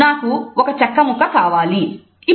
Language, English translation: Telugu, I need a piece of wood